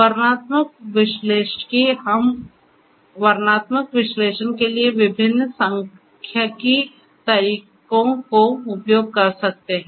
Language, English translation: Hindi, Descriptive analytics you know pair basic we could use different statistical methods for the descriptive analytics